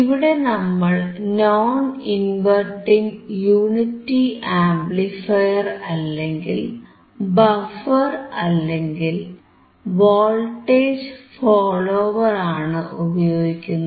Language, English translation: Malayalam, Here we are using non inverting unity amplifier, or buffer or voltage follower